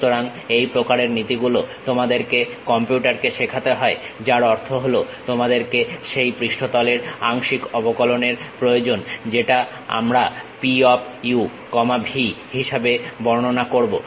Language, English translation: Bengali, So, this kind of principle you have to teach it to computer; that means, you require the partial derivatives of that surface which we are describing P of u comma v